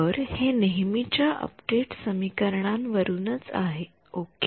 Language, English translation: Marathi, So, this is from usual update equations ok